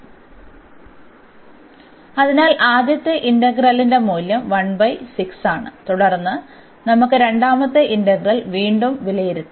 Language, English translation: Malayalam, So, the value of the first integral is 1 by 6 and then we can evaluate the second integral again